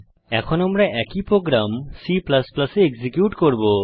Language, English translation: Bengali, Yes,it is working Now we will execute the same program in C++